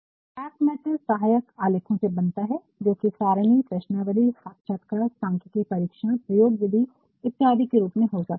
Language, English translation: Hindi, So, the back matter actually consists of supporting documents, which can either be in the form of tables, questionnaires, interview sheets, statisticaltest, methodology etcetera